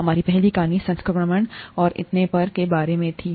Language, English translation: Hindi, Our first story was about infection and so on so forth